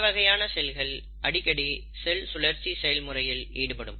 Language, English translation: Tamil, So these are the most frequent cells which undergo the process of cell cycle